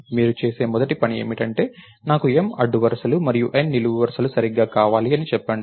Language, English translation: Telugu, So, the first thing you do is lets say I want M rows and N columns right